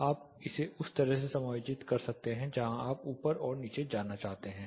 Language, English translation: Hindi, You can adjust it on the side where which side you want to move top and bottom